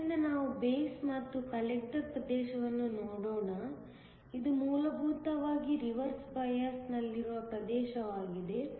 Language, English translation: Kannada, So, let us look at the base and the collector region; this is essentially a region that is in reversed bias